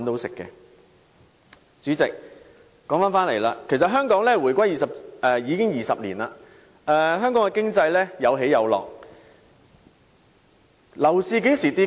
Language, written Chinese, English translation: Cantonese, 代理主席，香港回歸20年，經濟有起有落，樓市曾否下跌？, Deputy President it has been 20 years after the reunification . While the economy of Hong Kong has experienced ups and downs have property prices ever dropped?